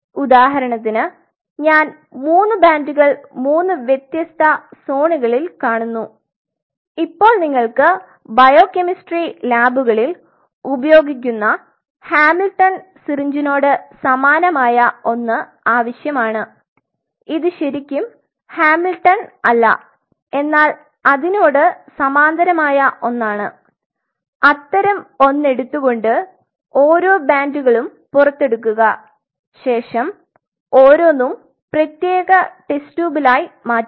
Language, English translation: Malayalam, So, for example, I see three bands three different zones now we need something like a very similar to Hamilton syringe which is used in biochemistry labs it is not really Hamilton, but something of that sort where you have to you know bring it close in and you have to pull out that band in a separate test tube similarly then you have to pull this out at a separate test tube to pull this out at a separate test tube